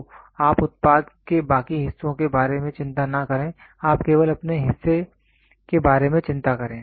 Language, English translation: Hindi, So, you do not worry about rest of the parts in the product, you worry only about your part